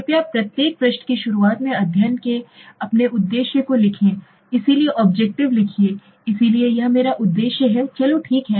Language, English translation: Hindi, Please write your objective of the study at the beginning of each page, I am repeating this each page so write the objective write here so this is my objective let s say okay